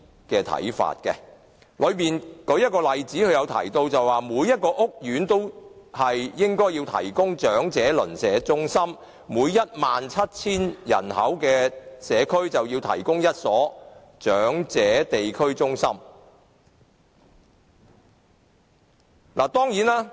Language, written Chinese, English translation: Cantonese, 該報告提到一個例子，每個屋苑都應該提供長者鄰舍中心，每 17,000 人口的社區就要提供1所長者地區中心。, One of the recommendations made in the report is that every housing estate should be provided with Neighbourhood Elderly Centres that is 1 Neighbourhood Elderly Centre should be provided in every community of 17 000 people